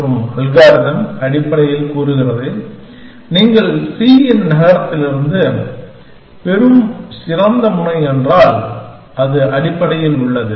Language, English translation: Tamil, And algorithm essentially says that, if the best node that you get from move gen of c, which is basically in